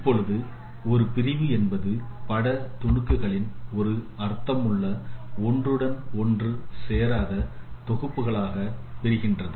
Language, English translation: Tamil, Now a segmentation is partitioning of image pixels into a meaningful non overlapping sets